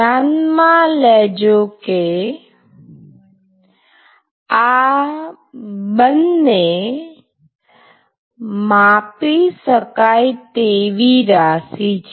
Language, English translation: Gujarati, So, note that these two are measurable quantities